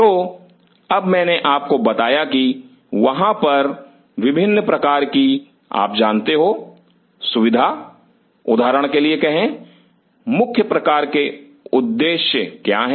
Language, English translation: Hindi, So, now, I told you that there are different kinds of you know facility say for example, what are the, what are the major kind of objectives